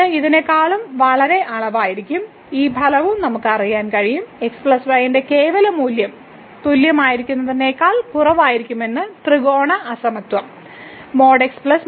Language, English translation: Malayalam, So, this will be a big quantity than this one and again, we can we know also this result the triangular inequality that the absolute value of plus will be less than equal to the absolute value of plus absolute value of